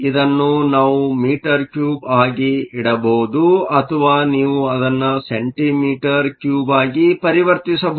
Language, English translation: Kannada, This we can keep as meter cube or you can convert it to centimeter cube